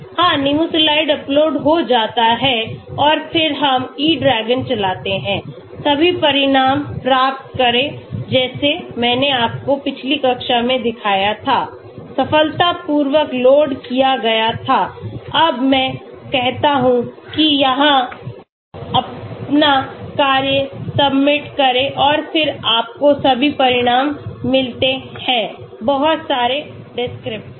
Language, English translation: Hindi, Yeah Nimesulide gets uploaded and then we run E DRAGON, get all the results like I showed you in the previous class, successfully loaded, now I say submit your task here and then you get all the results, lot of descriptors